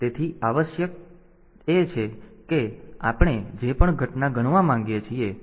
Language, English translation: Gujarati, So, the essential requirement is that whatever event we want to count